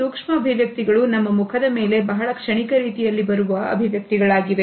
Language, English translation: Kannada, Micro expressions are those facial expressions that come on our face in a very fleeting manner